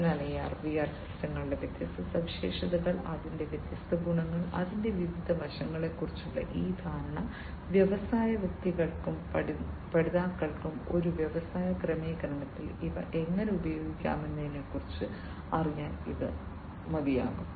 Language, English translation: Malayalam, And so, this understanding about the different features of AR and VR systems, the different advantages the different aspects of it, this is sufficient for the industry persons the, you know the learners to know about how these things can be used in an industry setting to create an IIoT platform in their respective industries